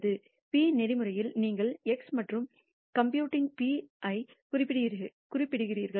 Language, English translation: Tamil, In p norm you are specifying x and computing p